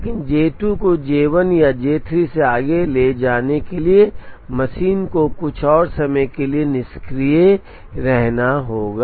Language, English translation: Hindi, But, in order to take J 2 ahead of J 1 or J 3 the machine will have to be idle for some more time